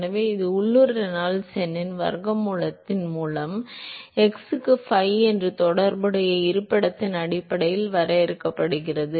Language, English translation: Tamil, So, this is 5 into x by square root of the local Reynolds number define based on the corresponding location